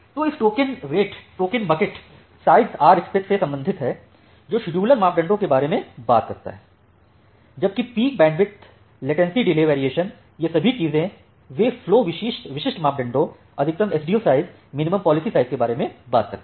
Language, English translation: Hindi, So this token rate, token bucket size they are kind of are belongs to the Rspec that talks about the scheduler parameters whereas, the peak bandwidth, latency, delay variation, all these things they talk about flow specific parameters the maximum Sdu size, minimum policy size